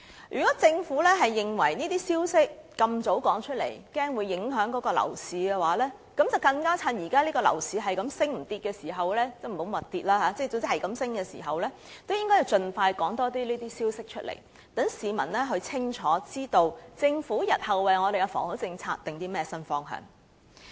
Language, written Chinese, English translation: Cantonese, 如果政府認為過早公布這些消息會影響樓市，便更應趁現時樓市只升不跌，盡快多公布這些消息，讓市民清楚知道政府日後為我們的房屋政策訂定了甚麼新方向。, If the Government holds that premature disclosure of such information will affect the property market it had better just when the property market keeps rising now disclose more such information expeditiously to let the public know clearly what new direction the Government has set for the housing policy in future